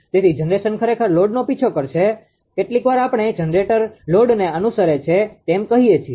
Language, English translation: Gujarati, So, generation actually chases the load sometimes we call load following that generator is following the load, right